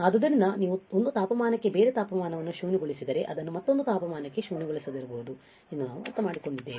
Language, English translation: Kannada, So, we had understand that a different temperature if you have nulled for 1 temperature it may not be nulled for another temperature ok